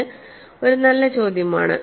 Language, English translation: Malayalam, That’s a good question